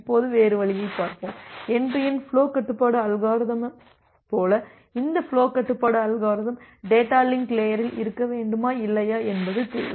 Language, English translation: Tamil, Now, let us look into the other way around like you have this end to end flow control algorithm and in that case, still we still we require that this flow control algorithm at data link layer or not